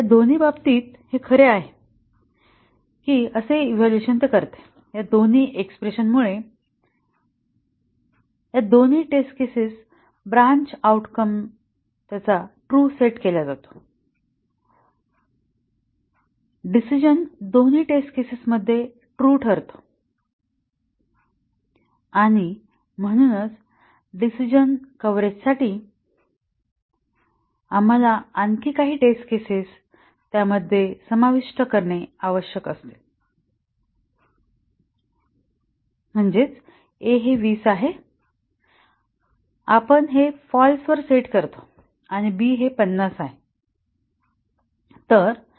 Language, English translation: Marathi, In both these it evaluates to true, both these expressions both these test cases set the branch outcome to true, the decision evaluates to true for both the test cases and therefore, we need to include another test case to achieve the decision coverage that is, a is 20, we sets it to false and b is 50